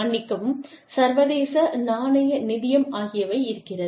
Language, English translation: Tamil, International Monetary Fund, i am sorry